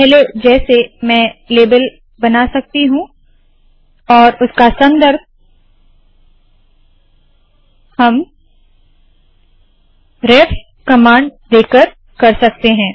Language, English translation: Hindi, Okay, as before I can create a label and refer to it using the ref command